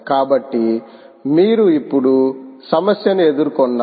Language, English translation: Telugu, so, ah, you are now confronted with a problem